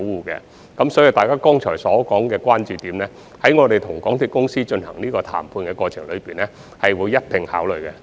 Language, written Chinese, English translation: Cantonese, 因此，大家剛才提及的關注點，我們會在與港鐵公司談判的過程中一併考慮。, Therefore we will take into consideration the concerns raised by Members in the course of our negotiation with MTRCL